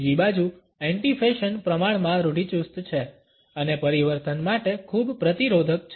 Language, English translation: Gujarati, On the other hand, an anti fashion is relatively conservative and is very resistant to change